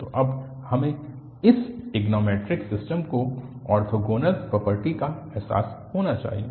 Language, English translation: Hindi, So, now we should realize the orthogonal property of this trigonometric system